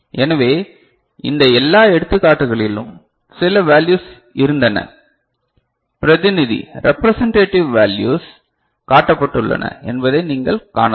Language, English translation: Tamil, So, in all these examples, you can see that some values have been, representative values have been shown